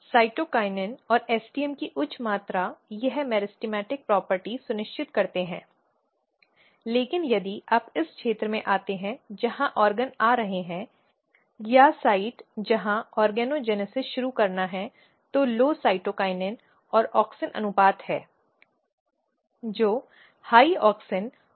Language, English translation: Hindi, So, basically high amount of cytokinin and STM they ensures meristematic property, but if you come in this region where the organs are coming or the site where organogenesis has to start what is happening here, there is low cytokinin and auxin ratio